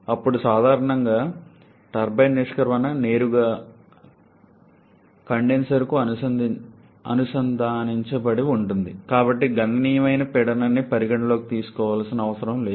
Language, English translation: Telugu, Then generally turbine exit is directly connected to the condenser, so there is no significant pressure has to be considered